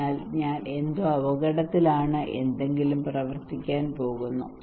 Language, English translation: Malayalam, So something is I am at risk something is going to work